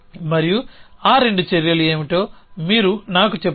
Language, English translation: Telugu, And you tell me what were the 2 actions